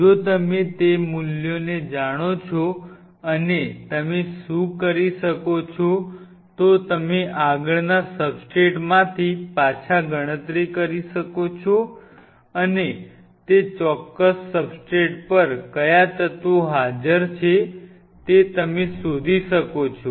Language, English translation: Gujarati, If you know that value and what you can do is you can back calculate from this next substrate and you can figure out what all elements are present on that particular substrate right